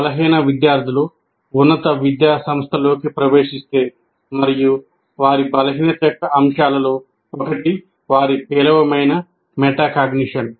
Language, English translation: Telugu, By the time the students enter the higher education institution and if they are weak students and one of the elements of their weakness is the is poor metacognition